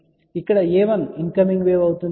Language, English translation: Telugu, So, here a 1 is the incoming wave